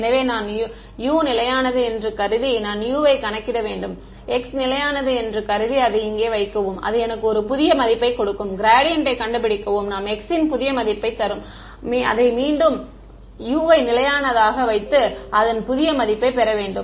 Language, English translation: Tamil, So, I assume U to be I calculate U from x assume it to be constant and put it in over here find out the gradient which gives me a new value of x that x, I plug in and get a new U put it back in keep it constant